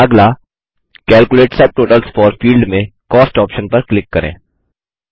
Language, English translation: Hindi, Next, in the Calculate subtotals for field click on the Cost option